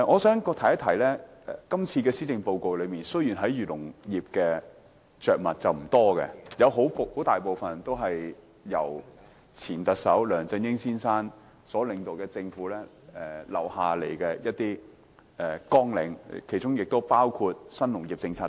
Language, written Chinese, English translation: Cantonese, 這份施政報告對漁農業着墨不多，大部分綱領都是由前特首梁振英先生所領導的政府留下的，其中包括新農業政策等。, The Policy Address has not said much about the agriculture and fisheries sector . Most of the measures in the Policy Agenda including the New Agriculture Policy are carried forward from the previous Government led by former Chief Executive LEUNG Chun - ying